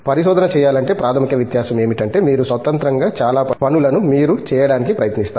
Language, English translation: Telugu, To research is the basic difference comes is the, where you try to independently do most of the things yourself